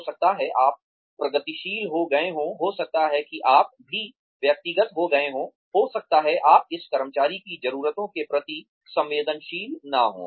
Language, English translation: Hindi, Maybe, you have become progressive, maybe you have become too personal, maybe, you have not been sensitive, to this employee